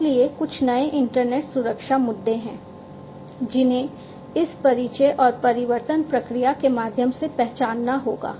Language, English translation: Hindi, So, there are some new internet security issues that will have to be identified through this introduction and transformation process